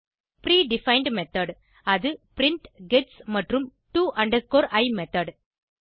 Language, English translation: Tamil, Pre defined method that is print, gets and to i method